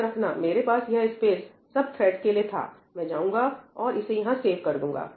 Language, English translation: Hindi, Remember, I had this space for each thread; I will go and save it over here